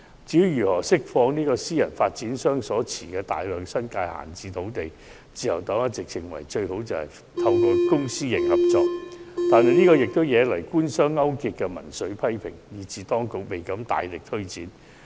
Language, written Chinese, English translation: Cantonese, 至於如何釋放私人發展商所持的大量新界閒置土地，自由黨一直認為，最佳方法是以公私營合作方式發展，但相關建議惹來官商勾結的民粹批評，以致當局未敢大力推展。, As for ways in which the large swathes of idle agricultural lands held by private developers can be released while the Liberal Party has long held that it is best achieved by a public - private partnership approach such a suggestion has sparked populist denunciations of collusion between business and the Government thereby deterring the Administration from pressing ahead